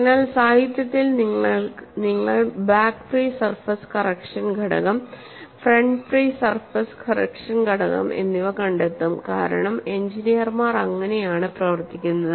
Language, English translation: Malayalam, So, in the literature you will find back free surface correction, factor front free surface correction factor, because this is how engineers operate, the back free surface correction factor is given as 1